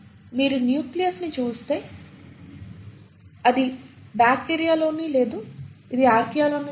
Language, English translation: Telugu, If you were to look at the nucleus, it is not present in bacteria, it is not present in Archaea